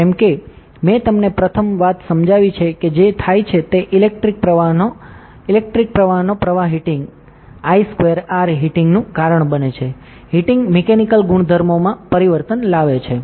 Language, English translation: Gujarati, As I have explain to you the first thing that happens is the flow of electric current, flow of electric current causes heating I square are heating, the heating causes changes in mechanical properties, correct